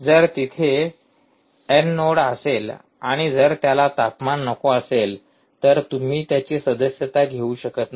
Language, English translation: Marathi, if there is a node n who does not want temperature, you will simply not subscribe to it